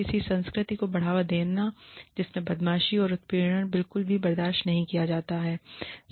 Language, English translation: Hindi, Promote a culture in which, bullying and harassment, are not tolerated at all